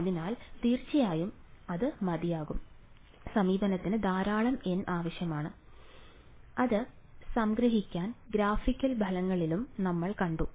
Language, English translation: Malayalam, So, of course, that is enough approach need large number of N and we saw that in the graphical results also